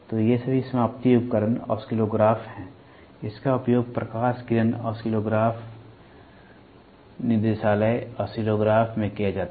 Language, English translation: Hindi, These are all terminating devices oscilloscope oscillographs, this is used in light beam oscillograph directorate oscillograph